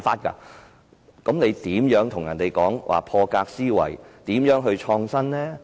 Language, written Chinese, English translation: Cantonese, 這樣如何談得上破格思維，又如何創新呢？, Accordingly how can we talk about having an out - of - the - box mindset and how can innovation be made?